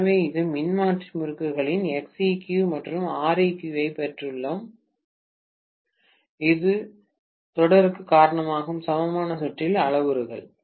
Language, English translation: Tamil, So, I have got X equivalent and R equivalent of my transformer windings, which will account for the series parameters in the equivalent circuit